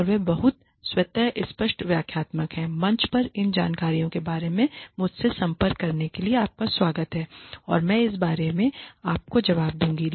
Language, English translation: Hindi, And they are very self explanatory, you are welcome to contact me regarding these this information on the forum and I will respond to you regarding this